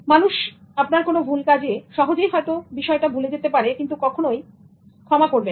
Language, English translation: Bengali, Overall, people can forget things but they can never forgive the wrong doings